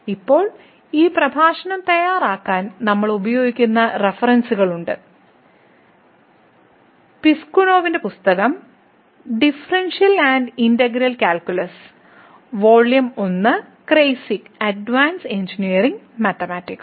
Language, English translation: Malayalam, Now, there are the references which we are used to prepare this lecture, the book by the Piskunov, Differential and Integral calculus, Volume 1 and also the Kreyszig Advanced Engineering Mathematics